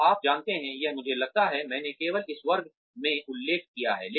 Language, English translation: Hindi, So, you know, or I think, I mentioned in this class only